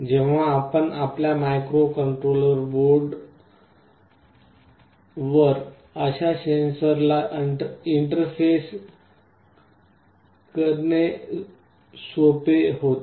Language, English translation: Marathi, When you are interfacing such a sensor to your microcontroller board, it becomes very easy